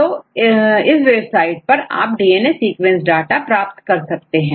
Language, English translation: Hindi, So, you can access this website and you can get the data of the DNA sequences fine